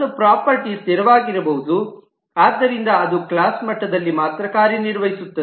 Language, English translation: Kannada, A property could be static so that it operates only at the class level